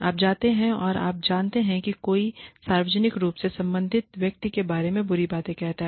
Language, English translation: Hindi, You go, and you know, if somebody says, really bad things, about the concerned person, in public